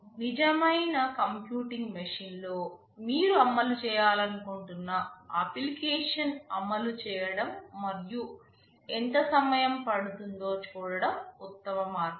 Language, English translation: Telugu, The best way is to run the application you want to run on a real computing machine and see how much time it takes